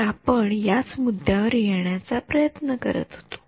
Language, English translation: Marathi, So, we are that is what we are trying to arrive at